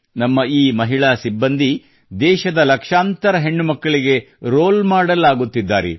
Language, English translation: Kannada, These policewomen of ours are also becoming role models for lakhs of other daughters of the country